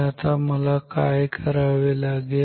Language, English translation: Marathi, Now what I want to do